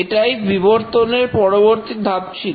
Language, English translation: Bengali, This was the next step of evolution